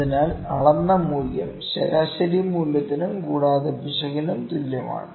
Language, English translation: Malayalam, So, measured value is equal to the mean value plus error, ok